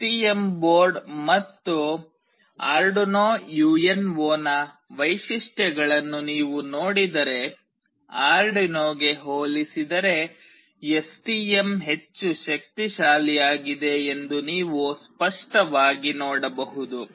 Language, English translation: Kannada, If you see the features of STM board and Arduino UNO, you can clearly make out that STM is much powerful as compared to Arduino